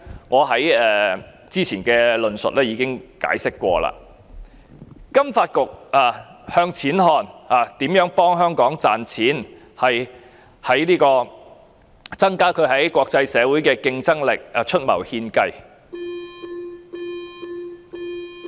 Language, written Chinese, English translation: Cantonese, 我較早前的論述已解釋過，金發局向錢看，幫助香港賺錢，為增加香港在國際社會的競爭力出謀獻計。, As explained earlier in my elaboration FSDC focuses on money and how to help Hong Kong earn money . It advises on ways to enhance the competitiveness of Hong Kong in the international community